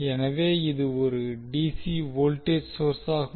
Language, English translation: Tamil, So this is a dc voltage source